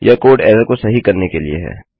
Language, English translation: Hindi, That code is to fix the error